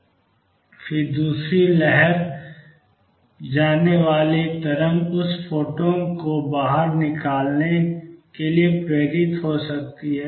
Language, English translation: Hindi, And then the wave going the other wave may stimulated to give out that photon